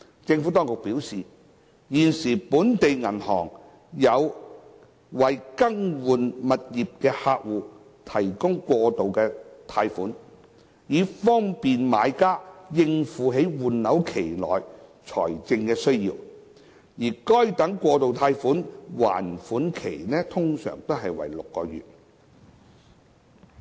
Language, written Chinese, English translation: Cantonese, 政府當局表示，現時本地銀行有為更換物業的客戶提供過渡貸款，以方便買家應付在換樓期內的財政需要，而該等過渡貸款的還款期通常為6個月。, The Administration has indicated that bridging loans are currently provided by local banks for customers replacing their properties to cater for their financial needs during property replacement and the repayment period of these bridging loans is six months in general